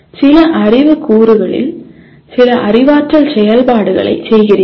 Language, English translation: Tamil, You are doing performing some cognitive activity on some knowledge elements